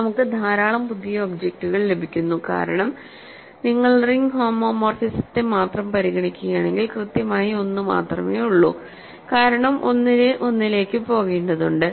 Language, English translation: Malayalam, So, we do get lots of a new objects because, if you insist on only if you only consider ring homomorphism then there is exactly 1 because, 1 has to go to 1